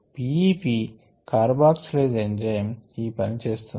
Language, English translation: Telugu, this is the p e, p carboxylase enzyme that is doing this